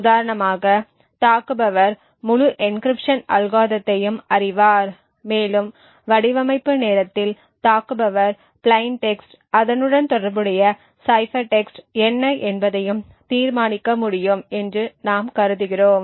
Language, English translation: Tamil, For instance, attacker would know the entire encryption algorithm the entire decryption algorithm and we also assume at the design time the attacker would be able to determine what the plain text is and the corresponding cipher text